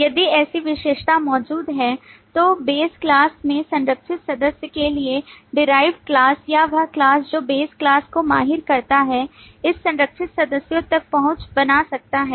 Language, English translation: Hindi, If such specialization exists, then for a protected member in the base class, the derived class or the class that specializes the base class can access this protected members, But other classes cannot access the protected members